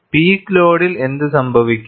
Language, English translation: Malayalam, At the peak load, you are looking at it